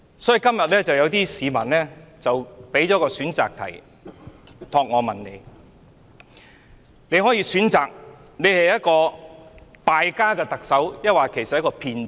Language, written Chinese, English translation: Cantonese, 所以，今天有些市民託我向你提出一項選擇題：你是一位"敗家"的特首，還是一名騙子？, So on behalf of some members of the public I pose to you a multiple choice question Are you a prodigal Chief Executive or a crook?